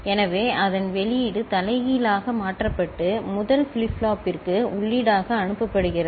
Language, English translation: Tamil, So, the output of it is inverted and sent as input to the first flip flop